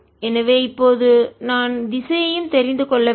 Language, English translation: Tamil, so now i have to also know the direction